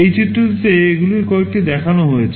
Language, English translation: Bengali, In this diagram some of these are shown